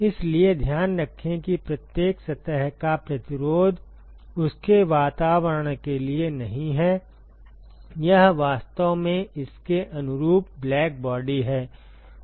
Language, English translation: Hindi, So, keep in mind that the resistance of every surface is not to it’s atmosphere; it is actually to it is corresponding black body